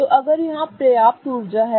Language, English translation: Hindi, So, they will have the same energy